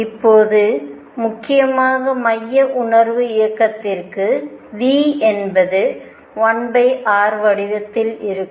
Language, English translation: Tamil, Now, for central feel motion mainly when v is of the form 1 over r